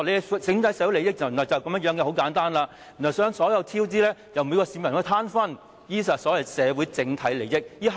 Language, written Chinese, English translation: Cantonese, 他們把社會整體利益說得如此簡單，所有超支款項由每名市民攤分，這便是他們所謂的社會整體利益。, They spoke of social interest at large in such simple terms having each member of the public bearing a share of the cost overruns . That is what social interest at large meant to them